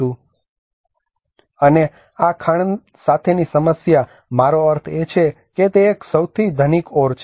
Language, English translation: Gujarati, And the problem with this mine I mean it is one of the richest ore